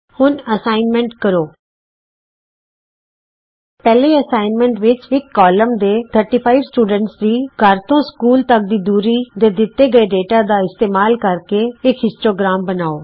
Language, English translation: Punjabi, Now to do assignments , In the first assignment create a histogram using the following data of a Distance between home and school for a class of 35 students